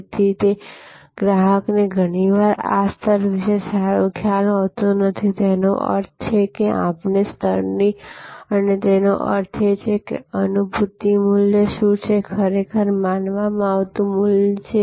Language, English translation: Gujarati, So, customer therefore, often does not have the good idea about this level; that means, of this level; that means, what is the perceive value, really perceived value